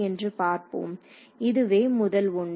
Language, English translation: Tamil, So, what is so, this is the first one